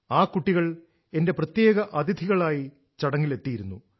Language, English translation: Malayalam, Those children have been attending the functions as my special guests